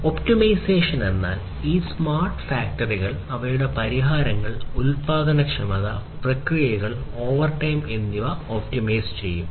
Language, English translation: Malayalam, Optimization; over all these smart factories are such that they will optimize their solutions their productivity, their processes, and so on overtime